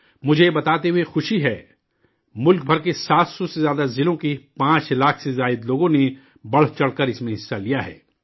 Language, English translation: Urdu, I am glad to inform you, that more than 5 lakh people from more than 700 districts across the country have participated in this enthusiastically